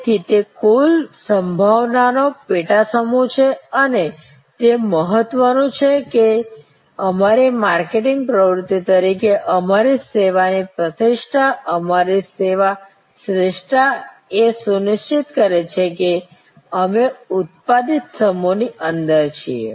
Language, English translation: Gujarati, So, it is a subset of the total possibility and it is important that as our marketing activity, our service reputation, our service excellence ensures that we are within the evoked set